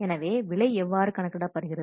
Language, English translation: Tamil, Then how you can calculate the charge